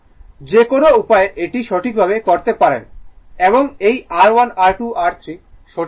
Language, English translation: Bengali, Either way you can do it right and this R 1 R 2 R 3 is this one from the circuit